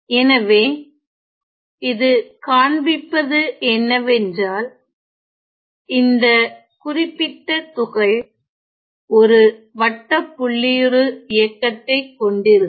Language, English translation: Tamil, So, what it shows is that this particular particle is going to follow a cycloid motion